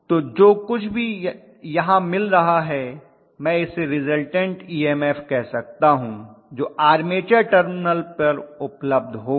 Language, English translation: Hindi, So whatever is available here I may have called that as the resultant EMF that is available in the armature terminal, right